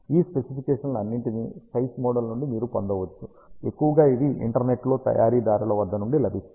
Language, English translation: Telugu, The all these specifications you can get from the SPICE model which is available on the internet mostly by the manufacturer